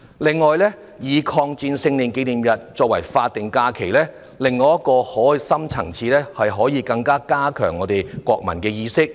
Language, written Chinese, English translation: Cantonese, 此外，把抗日戰爭勝利紀念日列為法定假日還有另一深層意義，就是可以加強國民意識。, Furthermore another profound effect of designating the Victory Day as a statutory holiday is to boost the sense of national identity